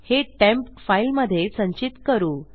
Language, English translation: Marathi, So we can save that as temp file or temp